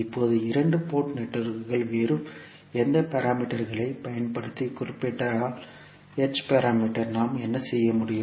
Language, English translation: Tamil, Now, if the two port networks are represented using any other parameters say H parameter, what we can do